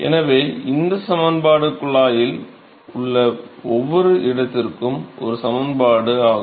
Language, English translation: Tamil, So, this equation is the an equation for every location in the pipe